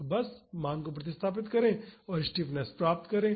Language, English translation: Hindi, So, just substitute the value and just get the stiffness